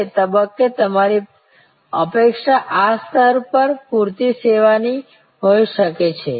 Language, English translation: Gujarati, At that stage may be your expectation is at this level adequate service